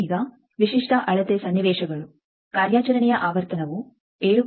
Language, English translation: Kannada, Now, typical measurement scenarios suppose frequency of operation is 7